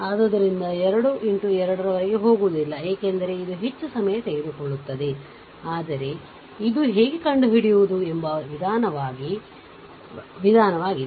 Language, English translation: Kannada, So, not will not go beyond 3 into 3, because it will take more time, but this is a methodology that how to find out